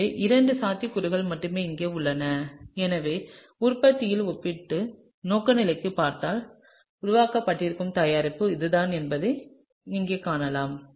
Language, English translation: Tamil, So, the only two possibilities are these two over here and so, if we look at it the relative orientation of the product, we can see here that the product that is going to be formed is this